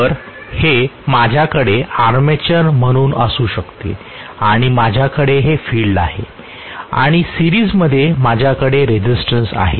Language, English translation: Marathi, So I may have this as the armature and I am going to have this as the field and I may have a resistance in series